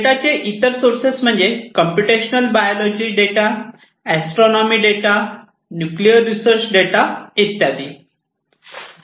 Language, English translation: Marathi, And other data such as computational biology data, astronomy data, nuclear research data, these are the different sources of data